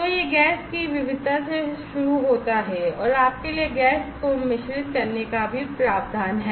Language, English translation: Hindi, So, it starts with variety of gas and there is a provision for you to mix the gas also